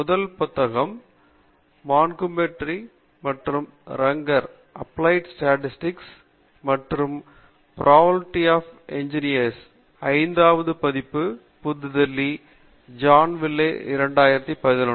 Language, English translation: Tamil, The first book is by Montgomery and Runger, Applied Statistics and Probability for Engineers; Fifth Edition, New Delhi, John Wiley India, 2011